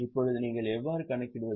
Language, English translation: Tamil, Now, how do you calculate